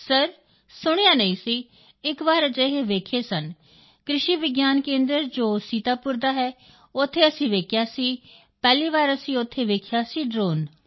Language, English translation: Punjabi, Sir, I had not heard about that… though we had seen once, at the Krishi Vigyan Kendra in Sitapur… we had seen it there… for the first time we had seen a drone there